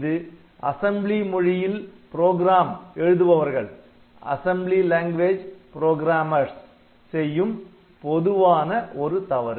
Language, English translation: Tamil, So, this is this is a very common mistake that has been detected for the assembly language programmers